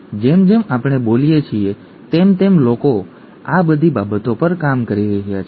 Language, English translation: Gujarati, And as we speak, people are working on all these things